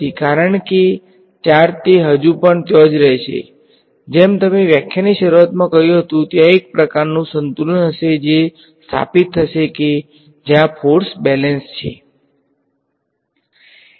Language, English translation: Gujarati, Because a charge it will still be there right as you said rightly in the start of the lecture there will be some sort of a equilibrium that will be establish where the forces are in balance